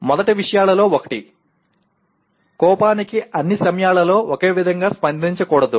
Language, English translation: Telugu, One of the first things is one should not react to anger in the same way all the time